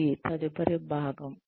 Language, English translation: Telugu, That is the next part